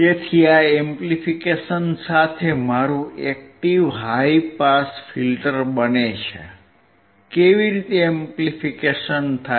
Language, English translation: Gujarati, So, this becomes my active high pass filter with amplification, how amplification